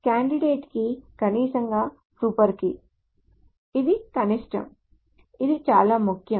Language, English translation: Telugu, So candidate key is a minimal super key